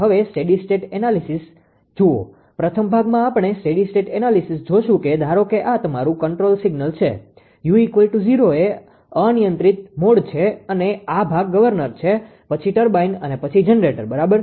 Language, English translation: Gujarati, So now look steady state analysis, first part we will see the steady state analysis that ah suppose this ah is your control signal u is 0 uncontrol mode when u is 0 uncontrol mode and this is your this part is governor then turbine then generator, right